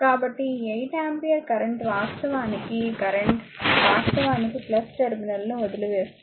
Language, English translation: Telugu, So, this 8 ampere current actually this current actually come leaving the plus terminal right